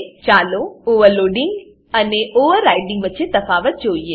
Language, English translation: Gujarati, Let us see the difference of overloading and overriding